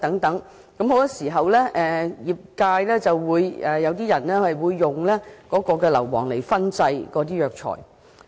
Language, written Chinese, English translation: Cantonese, 很多時候，有些業界人士會使用硫磺燻製中藥材。, Some members of the industry often use sulphur to fumigate Chinese herbal medicines